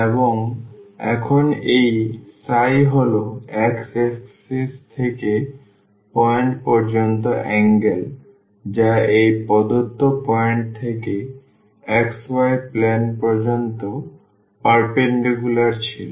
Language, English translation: Bengali, And, now this phi is the angle from the x axis to the point which was the perpendicular from this given point to the xy plane